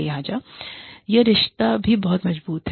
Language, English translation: Hindi, So, that relationship is also very strong